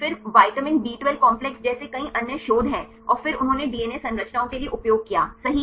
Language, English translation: Hindi, Then there are several other research like the vitamin b12 complex and then they used for the DNA structures right